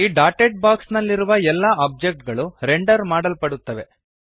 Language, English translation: Kannada, All objects inside this dotted box will be rendered